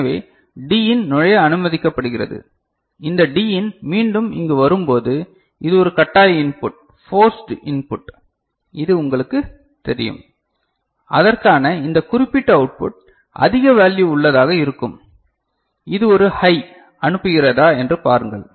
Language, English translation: Tamil, So, Din is allowed to enter right and when this Din comes here again this is a forced input, which is you know and for which this particular output will be of a say high value, see if it is sending a high ok